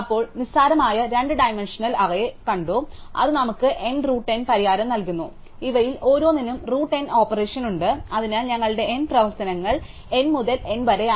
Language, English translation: Malayalam, Then, we saw trivial two dimensional array which gives us an N root N solution that is the root N operation for each of these, so over N operations is order N root N